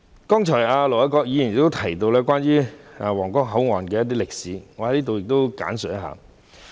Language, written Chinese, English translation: Cantonese, 盧偉國議員剛才提到皇崗口岸的一些歷史，我在此亦略作簡介。, Ir Dr LO Wai - kwok has just mentioned the history of the Huanggang Port and I would also like to give a brief introduction here